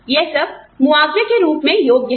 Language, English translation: Hindi, All of that, qualifies as compensation